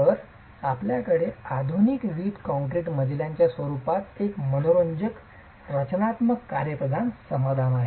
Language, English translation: Marathi, So, you have an interesting structural functional solution in the form of modern brick concrete floors